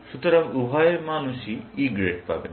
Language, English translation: Bengali, So, both people will get E grades